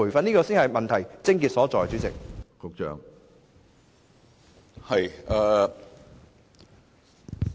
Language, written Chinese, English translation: Cantonese, 主席，這才是問題的癥結所在。, President this is the crux of the problem